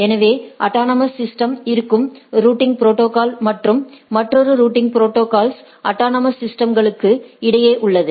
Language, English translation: Tamil, So, the routing protocols, which are within the autonomous systems, and the routing protocols, that is across autonomous systems right